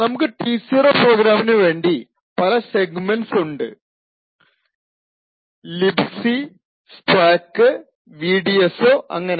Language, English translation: Malayalam, So we have the various segments for the T0 program we have the libc, stack, vdso and so on